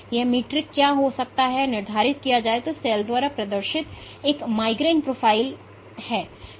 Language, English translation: Hindi, Now what might be a metric, for how to quantify whether a migration profile exhibited by a cell is random or persistent